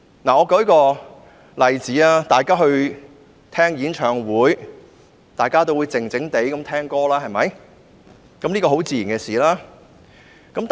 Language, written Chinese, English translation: Cantonese, 我舉一個例子，大家聽演唱會時，自然會靜靜地聽歌。, Let me cite an example . When we go to a concert we will naturally sit quietly and listen to the music